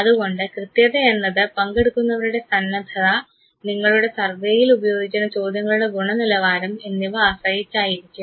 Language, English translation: Malayalam, And therefore, accuracy depends upon the ability in willingness of the participant both as well as how good is the construction of the items that you are using in your survey